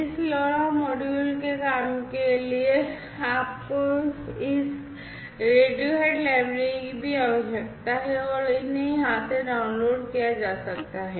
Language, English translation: Hindi, You also need this Radiohead library for this LoRa module to work and these can be downloaded from here